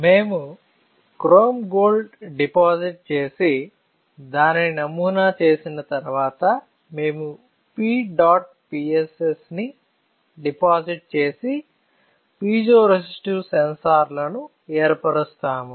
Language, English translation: Telugu, So, we will, after we deposit the chrome gold and pattern it, we will then deposit P dot PSS and form the piezoresistive sensors